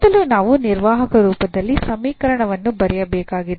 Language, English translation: Kannada, So, first we need to write the equation in the operator form